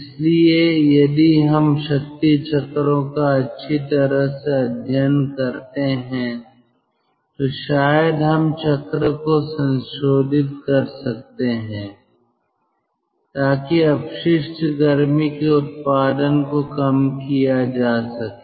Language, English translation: Hindi, so if we study power cycles very well, then probably we can modify the cycle so that waste heat production can be reduced